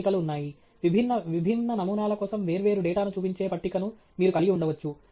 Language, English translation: Telugu, There are tables; you can have a table which shows different data for different, different samples